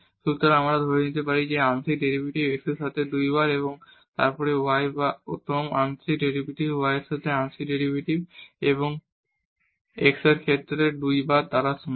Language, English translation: Bengali, So, we can assume that this partial derivative with respect to x 2 times and then partial derivative with respect to y or first partial derivative y and then 2 times with respect to x they are equal